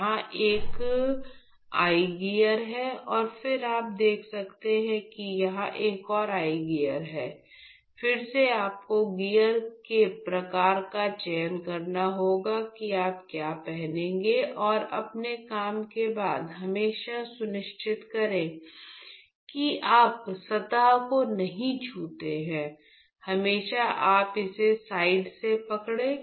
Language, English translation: Hindi, So, this is one such eye gear and then you can see there is another I gear here, again you have to choose the type of I gear what you would be wearing and while after your work always make sure you do not touch the surface always ensure you hold it from the sides